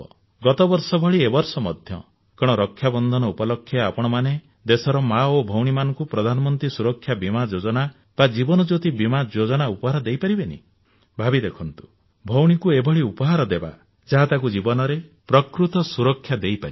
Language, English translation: Odia, Just like last year, can't you gift on the occasion of Raksha Bandhan Pradhan Mantri Suraksha Bima Yojna or Jeevan Jyoti Bima Yojna to mothers and sisters of our country